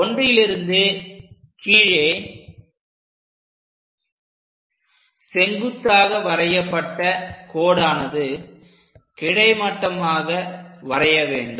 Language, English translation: Tamil, Now, at 1 prime onwards, we have to draw horizontal